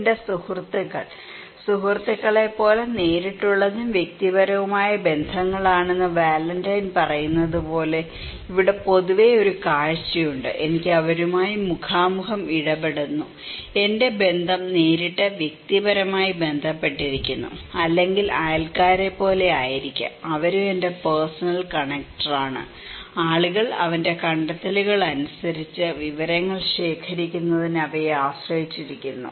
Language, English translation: Malayalam, My friends; here is a look generally, like Valentin is saying that it is the direct and the personal relationships like friends, I have face to face interaction with them, my relationship is direct personally connected or maybe like neighbours, they are also my personal connector, people depends on them for collecting informations, according to his finding